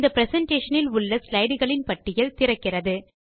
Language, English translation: Tamil, The list of slides present in this presentation opens up